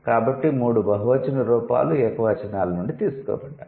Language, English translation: Telugu, So, all the three plural forms have been derived from the singular ones